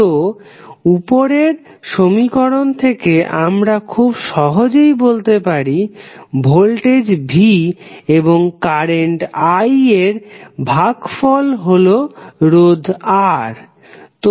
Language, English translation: Bengali, So, now from the above equation you can simply say that resistance R is nothing but, voltage V divided by current